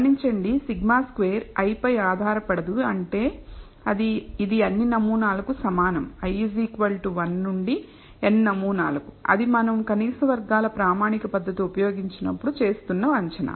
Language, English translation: Telugu, Notice the sigma square is same and does not depend on i which means it is the same for all samples i equals 1 to n that is the assumption we are making when we use the standard method of least squares